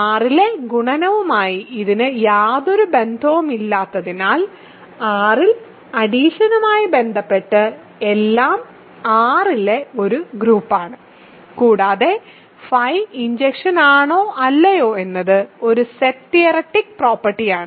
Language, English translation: Malayalam, Because it has nothing to do with the additive multiplication on R, it as everything to do with addition in R and under addition R is a group and whether phi injective or not is purely a set theoretic property